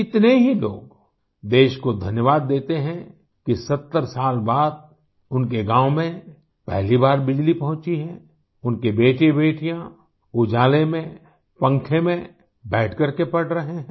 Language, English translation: Hindi, Many people are thankful to the country that electricity has reached their village for the first time in 70 years, that their sons and daughters are studying in the light, under the fan